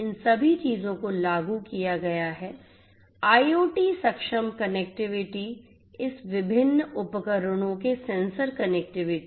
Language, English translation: Hindi, All of this things have been implemented IoT enabled connectivity between this different devices sensors connectivity and so on